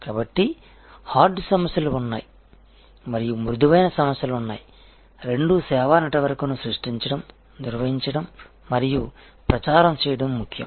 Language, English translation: Telugu, So, there are hard issues and there are soft issues, both are important to create, manage and propagate a service network